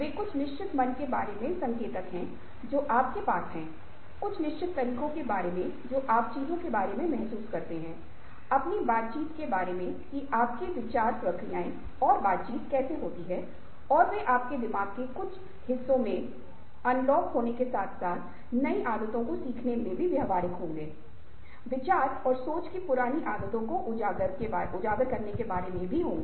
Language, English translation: Hindi, they are rough indicators about certain mind sets that you have, about certain ways you feel about things, about ah, your interactions, how your thought processes are interactions and they would be in unlocking in certain parts of your mind, as well as learning new habits and unlearning old habits of thought and thinking